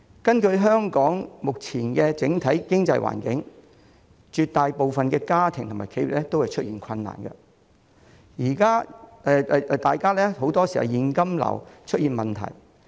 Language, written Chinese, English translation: Cantonese, 綜觀香港目前整體經濟環境，絕大部分家庭和企業也出現困難，很多時也有現金流的問題。, It is observed that in the general economic environment of Hong Kong at present most households and enterprises have encountered difficulties and they often have cash flow problems